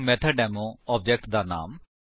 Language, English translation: Punjabi, So, MethodDemo object name